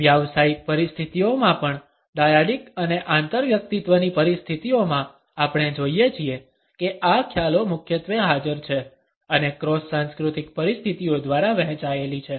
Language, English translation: Gujarati, In professional situations also in dyadic and in interpersonal situations we find that these perceptions are dominantly present and shared by cross cultural situations